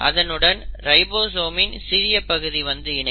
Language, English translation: Tamil, So this is the large subunit of the ribosome which is sitting